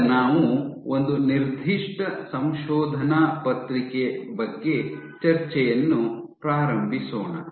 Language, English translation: Kannada, Now we will initiate discussion about one particular paper